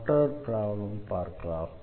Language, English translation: Tamil, Let us solve one more problem